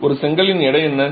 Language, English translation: Tamil, What is the weight of a brick roughly